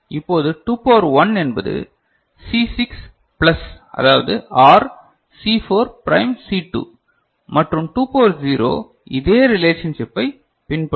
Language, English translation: Tamil, 2 to the power 1 in this case C6 plus that is OR C4 prime C2 and 2 to the power 0 will follow these relationship